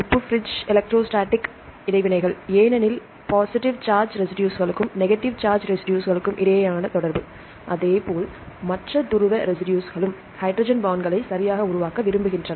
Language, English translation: Tamil, salt bridge, electrostatic interactions because the interaction between the positive charge residues and the negative charge residues likewise the other polar residues they prefer to form hydrogen bonds right